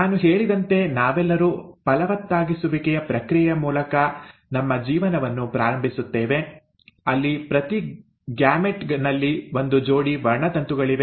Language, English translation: Kannada, As I mentioned, we all start our life through the process of fertilization where each gamete has one set of chromosomes